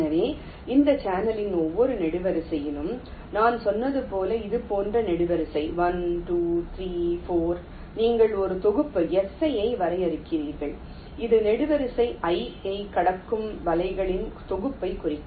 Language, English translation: Tamil, so so, as i said, along every column of this channel, like here column one, two, three, four, like this, you define a set, s i, which will denote the set of nets which cross column i